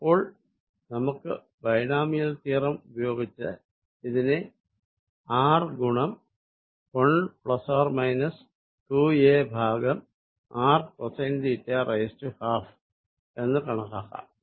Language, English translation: Malayalam, So, by Binomial theorem I can approximate this as r 1 plus or minus 2 a by r cosine theta raise to 1 half which is